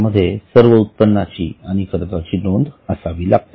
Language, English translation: Marathi, It has to list all incomes and all expenses